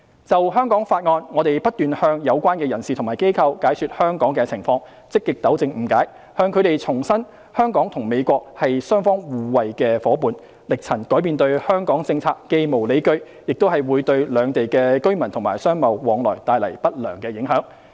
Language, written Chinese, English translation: Cantonese, 就《香港法案》，我們不斷向有關人士和機構解說香港的情況，積極糾正誤解，向他們重申香港與美國是雙方互惠的夥伴，力陳改變對港政策既無理據，亦會對兩地居民和商貿往來帶來不良影響。, In respect of the Hong Kong Act we have been explaining the situation in Hong Kong to the relevant persons and organizations actively clarifying misunderstandings reiterating that Hong Kong and the United States are partners which bring mutual benefits to each other and firmly stating that the changing of policies towards Hong Kong is unwarranted and will bring negative impact on the exchanges of residents and businesses between the two places